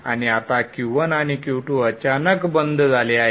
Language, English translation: Marathi, And now Q1 and Q2 are suddenly switched off